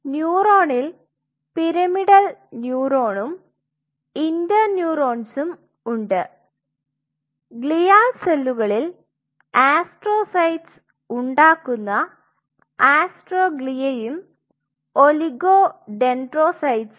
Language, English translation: Malayalam, One, neuron within neuron pyramidal neuron one, inter neuron 2 glial cell astroglia making astrocytes oligo dendrocytes